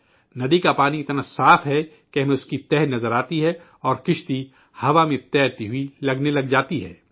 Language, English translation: Urdu, The water of the river is so clear that we can see its bed and the boat seems to be floating in the air